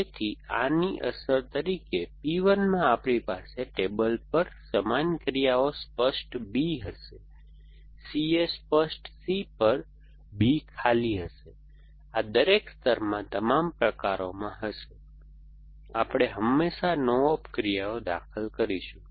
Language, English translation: Gujarati, So, as a effect of this, in P 1 we will have the same actions clear B on table, B arm empty on C A clear C, this we will do all the type in every layer, we would always insert no op actions